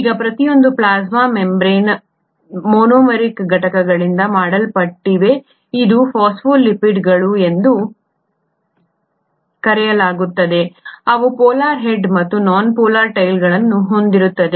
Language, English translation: Kannada, Now each plasma membrane is made up of monomeric units which are made, called as phospholipids with; they have a polar head and the nonpolar tails